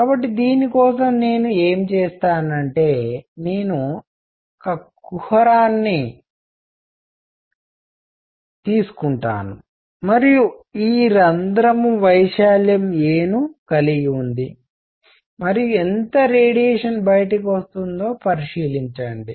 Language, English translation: Telugu, So, for this what I will do is I will take this cavity and this hole has an area a, and consider how much radiation comes out